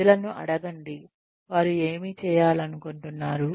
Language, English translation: Telugu, Ask people, what they would like to do